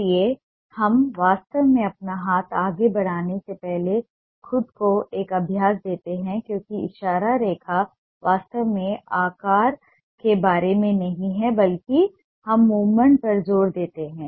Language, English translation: Hindi, so we give ourselves a practice before we actually make our hand move, because gesture line is not actually about the shape, but rather than shape we emphasized on movement